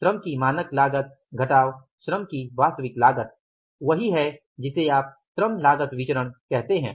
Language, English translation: Hindi, Standard cost of labor minus actual cost of the labor which is you call it as the labor cost variance